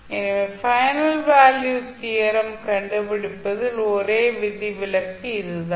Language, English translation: Tamil, So that is the only exception in finding out the final value theorem